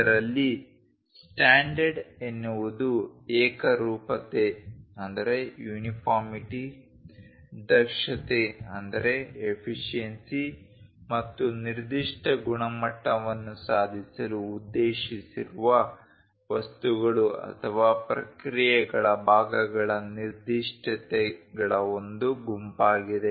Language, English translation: Kannada, In this a standard is a set of specification of parts for materials or processes intended to achieve uniformity, efficiency and specific quality